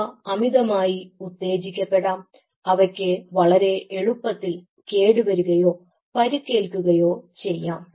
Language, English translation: Malayalam, they can get excited, hyper excitable, or they can, they may get, they may get damaged or injured very easily